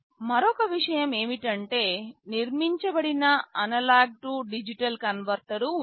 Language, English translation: Telugu, And, another thing is that there is a built in analog to digital converter